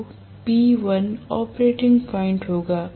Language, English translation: Hindi, So, P1 will be the operating point